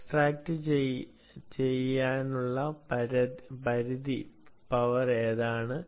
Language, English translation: Malayalam, ok, what is the maximum power to extract from